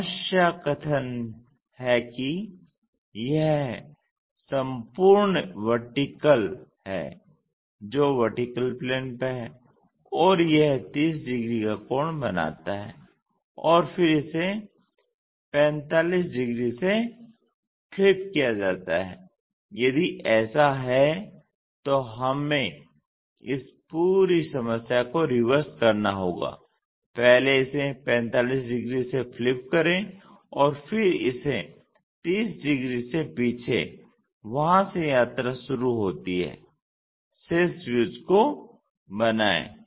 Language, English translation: Hindi, The problem statement is this entire vertical one on the vertical plane and it makes 30 degrees angle and then it is flipped by 45, if that is the case we have to reverse this entire problem first flip it by 45 degrees and then turn it back 30 degrees from there begin the journey construct the remaining views